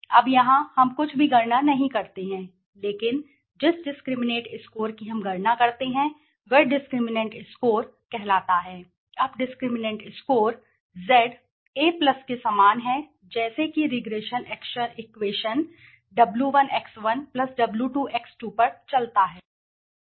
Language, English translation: Hindi, Now here we calculate nothing but the discriminant score we calculate something call the discriminant score now discriminant score is Z is equal to A+ like an regression equation W1X1+W2X2 it goes on right